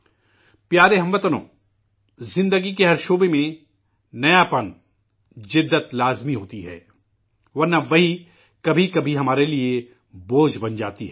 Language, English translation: Urdu, Dear countrymen, novelty,modernization is essential in all fields of life, otherwise it becomes a burden at times